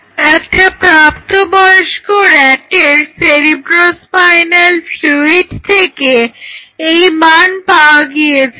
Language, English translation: Bengali, So, this value has come from cerebrospinal fluid of an adult rat